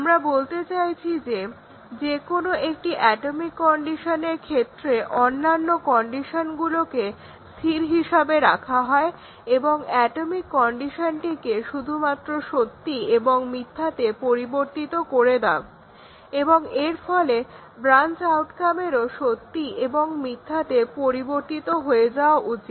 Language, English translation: Bengali, So, what we mean is that we keep the for any one atomic condition we keep the other conditions constant and just change the atomic condition to true and false and the branch outcome should change to true and false